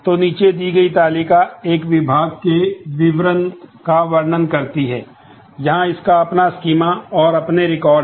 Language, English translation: Hindi, So, the table below describes details of a department, so that has its own schema and the individual records